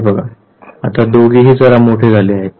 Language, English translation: Marathi, Look at this, now both of them have grown up a bit